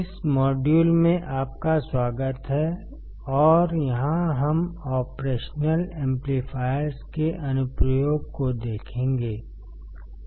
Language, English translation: Hindi, Welcome to this module and here we will see the application of operational amplifiers